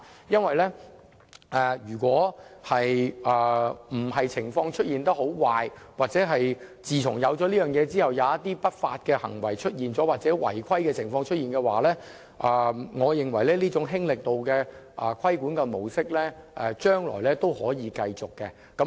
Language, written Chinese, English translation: Cantonese, 因為如非出現很壞的情況，或自安排推行後出現一些不法行為或違規情況，我認為這種"輕力度"的規管模式將來是可以繼續的。, Barring the worst case scenario or if no illegal activity or violation takes place after implementation I think this light touch regulatory approach may continue in future